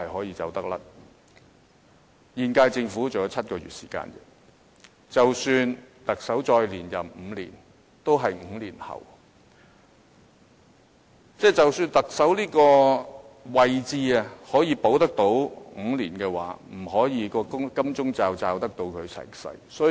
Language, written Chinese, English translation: Cantonese, 現屆政府還有7個月時間，即使特首再連任5年，也是5年後，即使特首這個位置可以保住他5年，這個金鐘罩也不能保住他一輩子。, Only seven months are left in the incumbent Government . Even if the Chief Executive can serve for another term of office the post of Chief Executive can only protect him for another five years and it cannot protect him forever